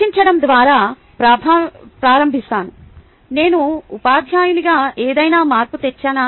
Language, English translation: Telugu, let me start by discussing: do i make a difference as a teacher